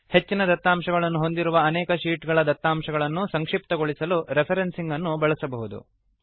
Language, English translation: Kannada, Referencing can be very useful to summarise data if there are many sheets, with a lot of data content